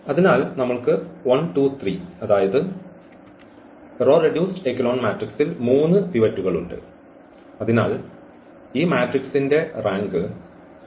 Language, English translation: Malayalam, So, we have 1, 2, 3, there are 3 pivots here in this row reduced echelon form and therefore, the rank of this matrix is 3